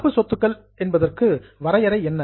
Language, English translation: Tamil, Now, what is the definition of current asset